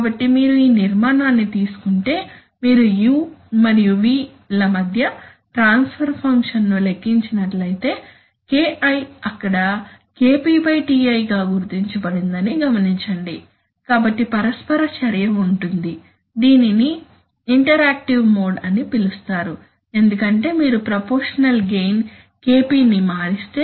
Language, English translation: Telugu, So if you take this structure then you will find that, you will find that, what is the, if you compute the transfer function between u and v if you compute the transfer function between u and v first of all note that there is that is KI is realized as KP / TI , so there is interaction this is called an interactive mode because if you change the proportional gain KP